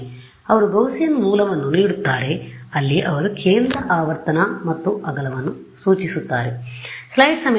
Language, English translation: Kannada, So, they give a Gaussian source where they specify the centre frequency and the width